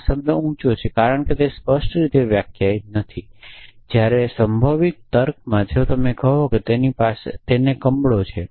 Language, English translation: Gujarati, Word tall essentially, because it is not defined clearly whereas, in probabilistic reasoning if you say that the chances that he has jaundices 0